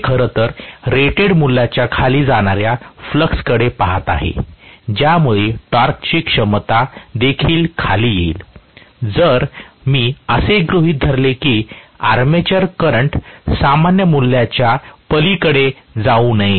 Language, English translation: Marathi, It is actually looking at the flux going below the rated value because of which the torque capability will also come down, if I am assuming that the armature current should not go beyond normal values